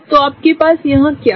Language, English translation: Hindi, So, what you have here is this